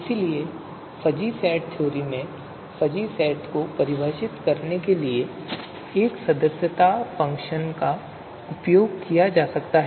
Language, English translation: Hindi, So that is why in fuzzy set theory a membership function is used to define a fuzzy set